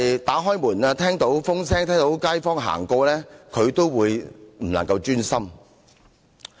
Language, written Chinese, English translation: Cantonese, 打開門，聽到風聲，聽到街坊走過，他也不能夠專心。, When a door was opened or he heard the sound of the wind or a neighbour walked by he lost his focus